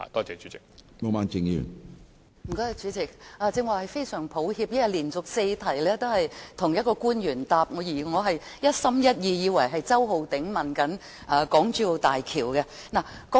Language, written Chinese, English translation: Cantonese, 主席，非常抱歉，因為連續數項口頭質詢均由同一位官員作答，我剛才以為周浩鼎議員正在提出有關大橋的質詢。, President I am sorry . I thought just now Mr Holden CHOW was asking a question on HZMB because successive oral questions have been answered by the same Public Officer